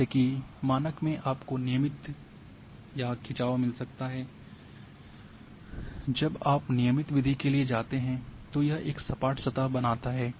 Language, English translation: Hindi, Like in default you might be getting regularized or tension, when you go for regularized method it creates a smooth surface